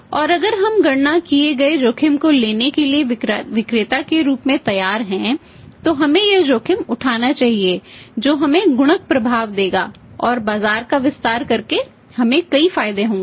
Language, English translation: Hindi, And if we are ready to seller to take the calculated risk we must take this risk that will give us the multiplier effect and we would have many advantages by expanding the market